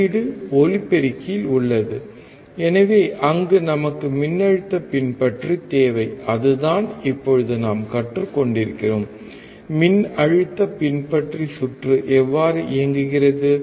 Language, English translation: Tamil, The output is at the speaker, so, there we require voltage follower, that is what we are learning right now: How voltage follower circuit works